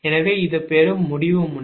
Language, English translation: Tamil, so this is the receiving node